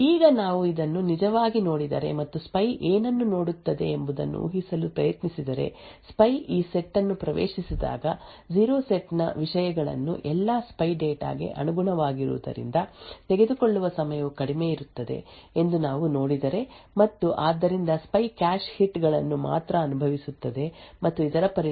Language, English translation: Kannada, Now if we actually look at this and try to infer what the spy sees, if we would see that when the spy accesses this set that is a set 0 the time taken would be less because the contents of set 0 corresponds to all spy data and therefore the spy would only incur cache hits and as a result the access time for set 0 would be low